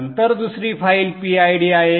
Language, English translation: Marathi, And then the other file is the PID